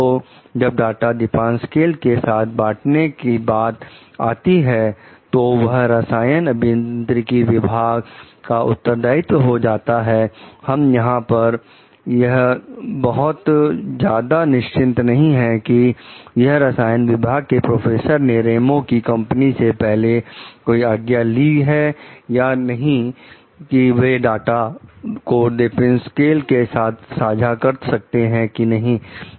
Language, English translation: Hindi, So, when it comes to like sharing the data with Depasquale; it is responsibility of the chemical engineering department, chemical department professors like, we are not very sure over here that, whether like they have asked the Ramos s company for permission before sharing their data with Depasquale